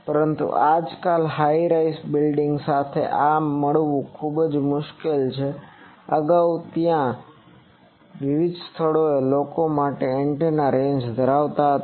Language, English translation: Gujarati, it is very difficult to get these, previously there where in various places people used to have antenna ranges for this